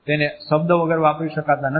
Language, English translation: Gujarati, They cannot be used without speech